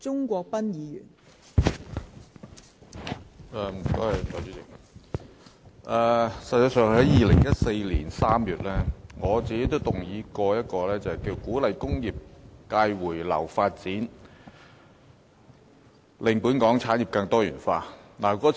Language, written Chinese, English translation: Cantonese, 代理主席，我在2014年3月也曾動議一項題為"鼓勵工業界回流發展，令本港產業更多元化"的議案。, Deputy President in March 2014 I moved a motion on Encouraging the return of the industrial sector for development to make Hong Kongs industries more diversified